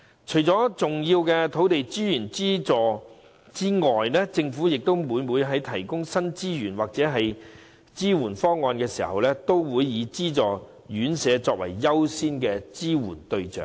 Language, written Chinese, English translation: Cantonese, 除了提供重要的土地資源資助外，政府每每在提供新資源或支援方案時，也會以資助院舍為優先的支援對象。, In addition to the subsidy on precious land resource the Government will always give priority to subsidized homes in introducing proposals on the provision of additional resource or support